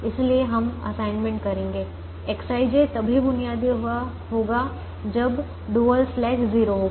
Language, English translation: Hindi, so we would make an assignment: x i j will be basic only when the dual slack is zero